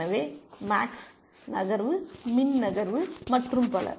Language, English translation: Tamil, So, max move, min move and so on